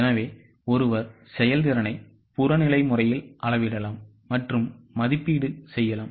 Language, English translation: Tamil, So, one can measure and evaluate the performance in a very, very objective manner